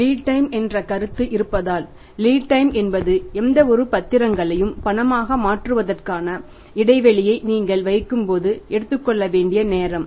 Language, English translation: Tamil, Lead time is that time to be taken that when you place the order of converting any security into cash it takes some time